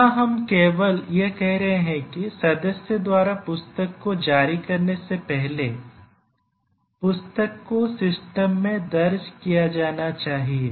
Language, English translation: Hindi, So, just mark here we are just saying that before the member can issue the book the book must have been entered into the system